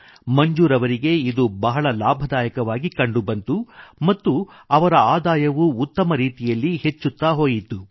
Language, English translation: Kannada, Manzoor Ji found this to be extremely profitable and his income grew considerably at the same time